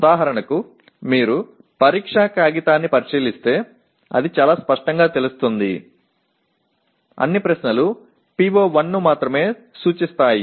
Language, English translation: Telugu, For example if you look at the examination paper it would be very clear the, all the questions only address PO1